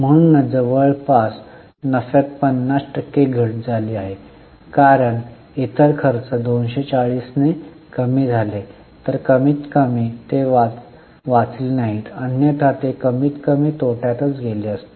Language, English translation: Marathi, That is why nearly 50% fall of profit because their other expenses came down by 240, at least they were saved